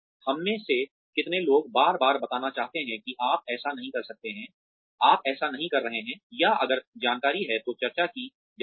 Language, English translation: Hindi, How many of us want to be told, time and again, that you are not doing this so well, or if the information, that is discussed